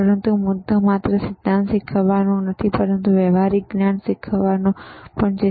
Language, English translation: Gujarati, But the point is not only to learn theory, but to use the practical knowledge